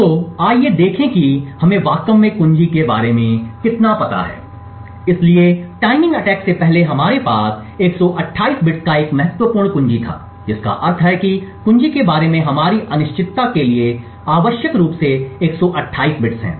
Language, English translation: Hindi, So, let us see how much we have actually know about the key, so prior to the timing attack we had a key size of 128 bits which means that there are to our uncertainty about the key is essentially 128 bits